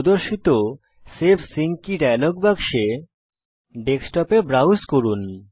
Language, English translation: Bengali, In the save sync key dialog box that appears